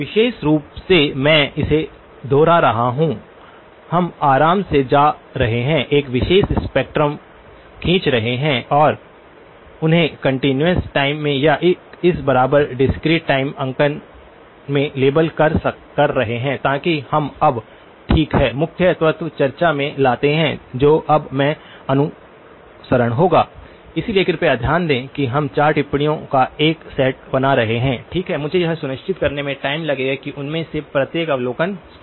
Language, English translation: Hindi, Notationally, I am repeating it so, we are comfortable going, drawing a particular spectrum and labelling them either in continuous time or in this equivalent discrete time notation, so that we are okay now, the key element comes in the discussion that is now to follow, so please note the following we will be making a set of four observations, okay and I will take time to make sure that each of those observations are clear okay